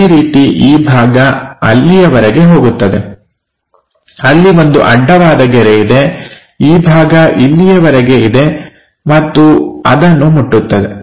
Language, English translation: Kannada, Similarly, this part goes all the way there, then there is a horizontal line; this part goes all the way there, and touch that